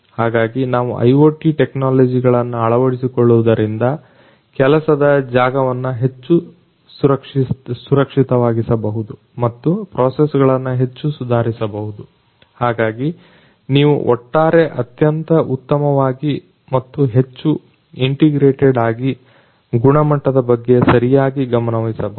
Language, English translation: Kannada, So, can we adopt the IoT technologies in order to make the work place much more safe and also the processes much more improved, so that you can you can take care of the quality overall in a much more improved manner and in a much more integrated manner